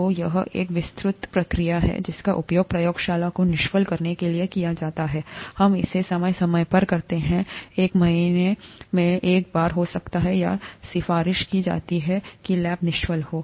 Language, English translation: Hindi, So it's an elaborate procedure that is used to sterilize the lab; we do it from time to time, may be once in a month or so, it is recommended that the lab is sterilized